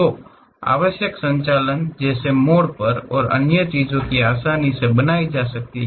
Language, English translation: Hindi, So, required operations like turning and other things can be easily formed